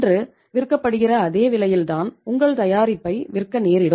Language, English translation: Tamil, You have to sell the product at the same price as you are selling it today